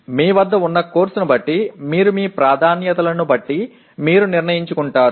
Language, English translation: Telugu, You decide depending on the course you have and what your preferences are with respect to this